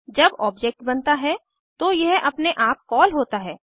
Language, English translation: Hindi, It is automatically called when an object is created